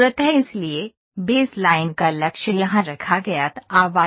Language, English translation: Hindi, So, base line target here put was wire meshes